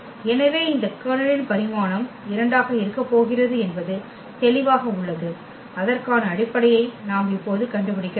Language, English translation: Tamil, So, the dimension of this Kernel is clear that is going to be 2 and we have to find the basis for that we have to write down solution now